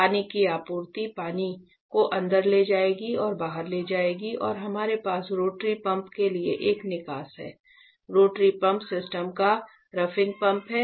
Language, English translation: Hindi, So, this water supply will take in and take out the water and we have an exhaust for the rotary pump as you can as we have spoken yesterday rotary pump is the roughing pump of the system